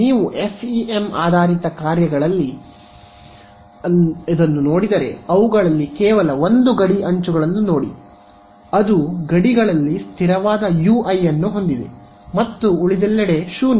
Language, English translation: Kannada, If you look at the FEM basis functions they also if I think look at just a boundary edges it is also like that right it has a constant U i on the boundary and its 0 everywhere else